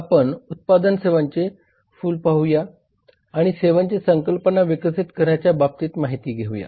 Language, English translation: Marathi, we see the flower of product service and developing the services concept